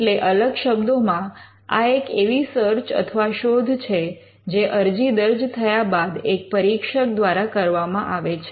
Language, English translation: Gujarati, Now in other words, this is a search that is done by an examiner when an application is filed